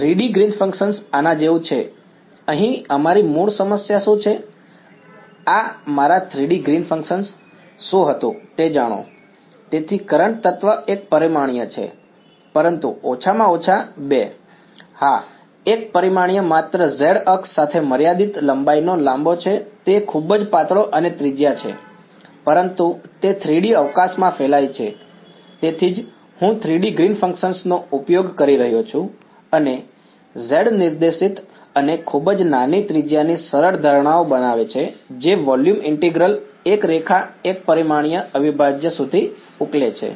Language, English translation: Gujarati, 3D Green's function like this is like our original problem over here what was this was my 3D Green's function know; so, the current element is one dimensional, but at least two yes, one dimensional only a long of finite length along the z axis its very thin and radius, but its radiating in 3D space that is why I am using the 3D Green's function and making the simplifying assumptions of z directed and very small radius that volume integral boil down to a line one dimensional integral